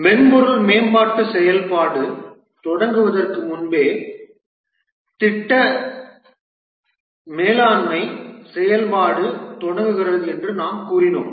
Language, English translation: Tamil, And we had said that the project management activities start much before the software development activity start